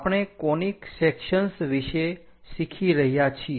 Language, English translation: Gujarati, We are learning about Conic Sections